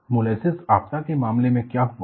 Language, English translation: Hindi, What happened in the case of molasses disaster